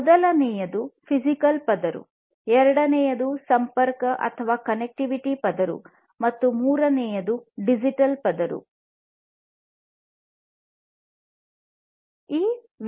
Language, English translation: Kannada, Number one is the physical layer, second is the connectivity layer and the third is the digital layer